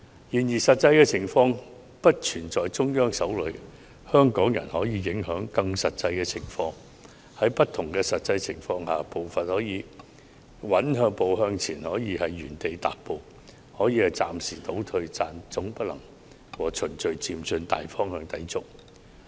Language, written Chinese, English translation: Cantonese, 然而，實際情況並不是完全在中央手裏，香港人可以影響實際情況，在不同的實際情況下，步伐可以穩步向前，也可以原地踏步或暫時倒退，但總不能抵觸"循序漸進"的大方向。, When situations differ our constitutional reform may either progress steadily or remain standstill . It may even regress for a while . Yet it can never go against the broad direction of gradual and orderly progress